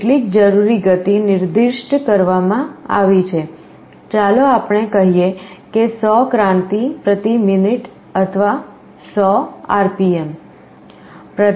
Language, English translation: Gujarati, Some required speed is specified, let us say 100 revolutions per minute or 100 RPM